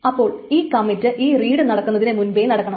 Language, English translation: Malayalam, So this commit must happen before this read happens